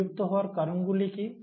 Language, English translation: Bengali, What is the cause of extinction